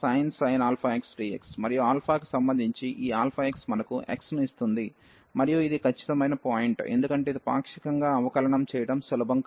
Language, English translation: Telugu, And this alpha x with respect to alpha will give us x, and that is exactly the point, because this was not easy to differentiate partially